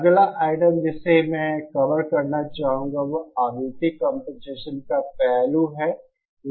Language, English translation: Hindi, The next item I would like to cover is aspect of frequency compensation